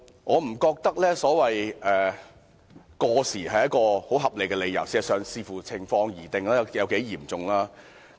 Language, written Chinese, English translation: Cantonese, 我不覺得所謂過時，是一個不再採取行動的很合理理由。, He argued that the incident has become an outdated issue but I do not consider it a very reasonable ground for not taking further action